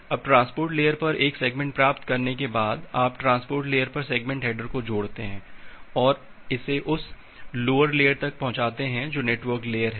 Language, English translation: Hindi, Now after getting a segment at the transport layer, you add up the segment header at the transport layer and pass it to the lower layer that is the network layer